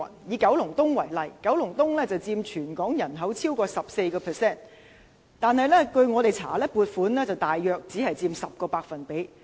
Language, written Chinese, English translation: Cantonese, 以九龍東為例，九龍東人口佔全港人口超過 14%， 但據我們調查，九龍東聯網所獲的撥款只佔大約 10%。, Taking Kowloon East as an example the population of Kowloon East accounts for over 14 % of the total population of Hong Kong . However according to our investigation the funding appropriated to the Kowloon East Cluster only accounts for about 10 %